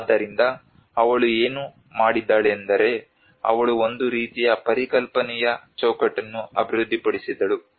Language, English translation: Kannada, So what she did was she developed a kind of conceptual framework of analysis